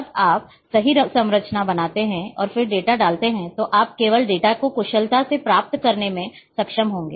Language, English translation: Hindi, When you create the perfect structure and then put the data then you would be only able to efficiently retrieve the data